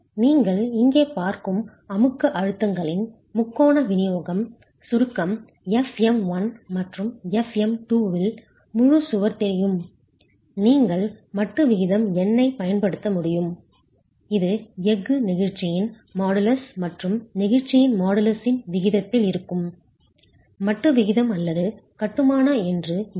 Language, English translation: Tamil, The triangular distribution of compressive stresses that you see here, the full wall in compression, fM1 and fm2 known, you will be able to use the modular ratio, n here is the modular ratio, n is the modular ratio, that is modus of elasticity of steel to the ratio, ratio of modulus of steel to that of the masonry